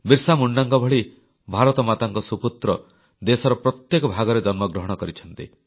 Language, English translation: Odia, Illustrious sons of Mother India, such as BirsaMunda have come into being in each & every part of the country